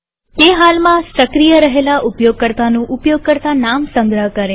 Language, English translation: Gujarati, It stores the username of the currently active user